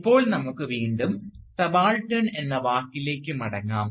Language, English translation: Malayalam, Now, let us again return to the word subaltern